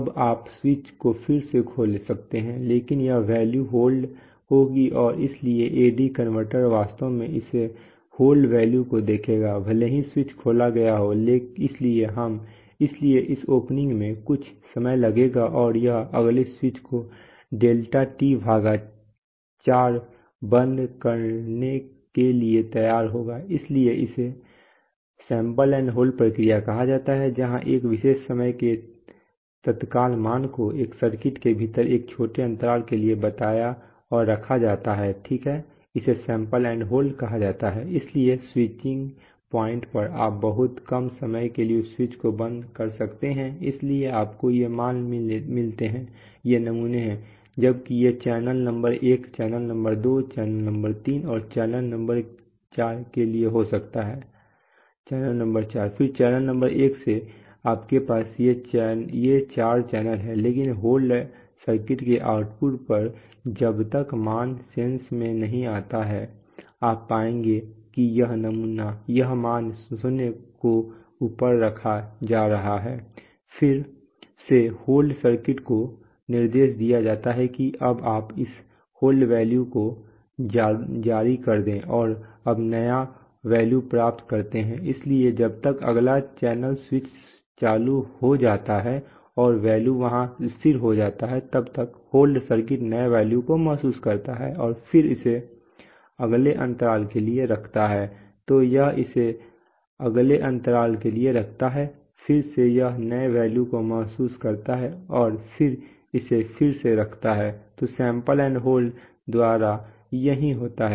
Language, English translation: Hindi, Now you can open the switch again but this value will be held and so the AD converter will actually see this held value, even if the switch has been opened, so this opening will take some time and it will be ready to close the next switch after let us say another delta T by 4 right, so this is called the sample and hold procedure where a particular time instant value is told and held for a small interval within a circuit, right, this is called sample and hold